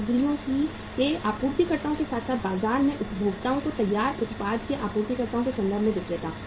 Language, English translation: Hindi, Vendor in terms of suppliers of the materials as well as the suppliers of finished product from the market to the consumers